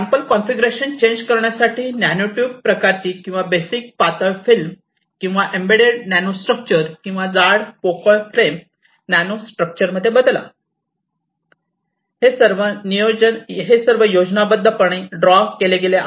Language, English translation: Marathi, And change your sample configuration from here to a nanotube kind of thing or a basic thin film, or a embedded nanostructure, or a thick hollow frame nanostructure, these are all schematically drawn and one to one correlation you can get in the upper micro structure